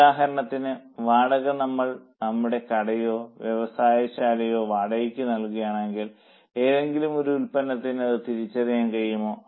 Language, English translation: Malayalam, If we are paying rent for our shop or for our factory, can we identify it for any one product